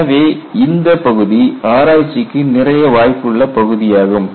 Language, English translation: Tamil, So, this area is open for research